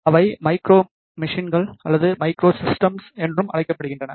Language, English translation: Tamil, They are also known as micro machines or micro systems